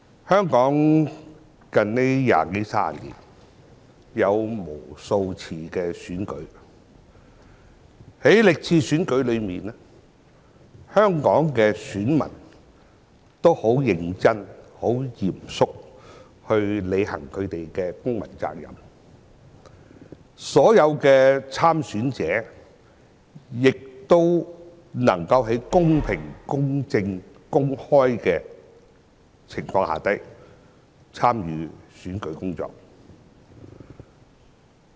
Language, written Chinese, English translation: Cantonese, 香港在這二三十年間曾舉行無數次的選舉，在歷次選舉中，香港的選民均十分認真和嚴肅地履行他們的公民責任，所有的參選者亦能夠在公平、公正、公開的情況下進行選舉工作。, Numerous elections have been held in Hong Kong during the past two to three decades and during all these elections voters have fulfilled their civic responsibilities very seriously while all candidates have been able to conduct their electioneering campaigns in a fair just and open manner